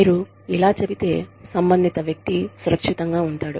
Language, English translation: Telugu, If you say this, the person concerned will feel, safe